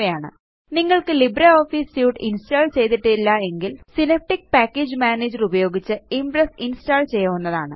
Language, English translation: Malayalam, If you do not have LibreOffice Suite installed, Impress can be installed by using Synaptic Package Manager